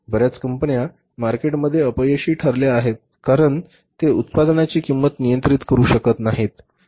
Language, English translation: Marathi, Many companies have failed in the market because they couldn't control the cost of their product